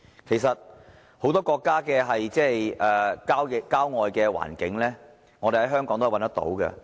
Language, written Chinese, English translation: Cantonese, 其實，很多國家的郊外環境，香港也可以找得到。, In fact the suburban landscapes in many countries can also be found in Hong Kong